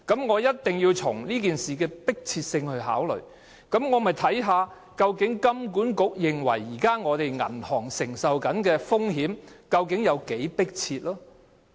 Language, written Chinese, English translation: Cantonese, 為了考慮這件事情的迫切性，我一定要看看金管局認為現時本港銀行承受的風險有多迫切。, To consider the urgency of the matter we must take a look at how urgent are the risks borne by our banking system currently according to HKMA